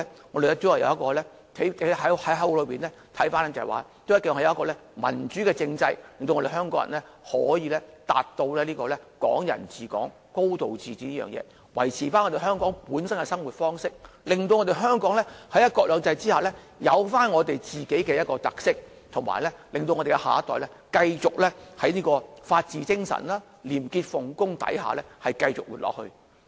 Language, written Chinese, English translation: Cantonese, 我們從口號可見，大家都希望將來會有民主政制，令香港人可以達致"港人治港"，"高度自治"，維持香港本身的生活方式，令香港在"一國兩制"下擁有本身的特色，以及令下一代可以在法治精神、廉潔奉公之下繼續生活。, We can see from the slogans that Hong Kong people wish to have a democratic political system in the future so that we can achieve Hong Kong people ruling Hong Kong and a high degree of autonomy maintain our unique way of life preserve our own characteristics under one country two systems and enable the next generation to live on with integrity under the spirit of the rule of law